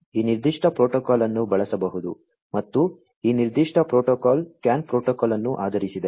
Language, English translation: Kannada, This particular protocol could be used and this particular protocol is based on the CAN protocol